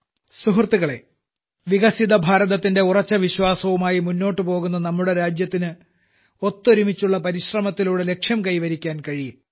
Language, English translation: Malayalam, Friends, our country, which is moving with the resolve of a developed India, can achieve its goals only with the efforts of everyone